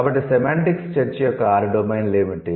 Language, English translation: Telugu, So, what are the six domains of semantics discussion we would have